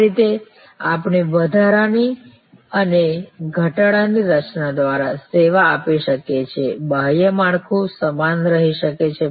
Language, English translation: Gujarati, So, by this way we are able to serve by the stretch and shrink mechanism, the outer structure may remain the same